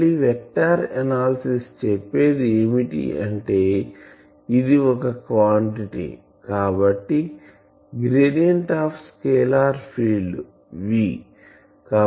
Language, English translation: Telugu, So, again from our vector analysis we can then say that this quantity; this should be then gradient of a scalar field V